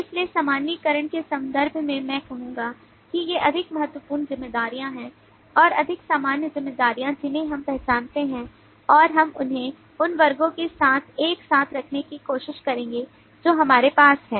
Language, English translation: Hindi, so in terms of generalization i will say that these are the more important responsibilities, more common responsibilities that we identify and we will try to put them together with the classes that we have